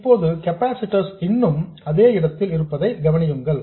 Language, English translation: Tamil, Now, notice that the capacitors are still in place